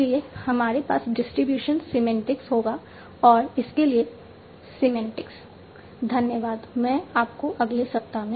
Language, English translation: Hindi, So we will have distribution semantics and lexical semantics for that